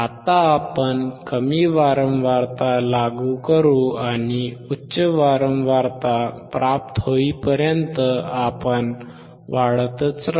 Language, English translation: Marathi, Now we will apply low frequency, and we keep on increasing to the high frequency